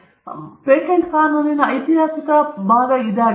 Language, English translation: Kannada, This is the historical part of patent law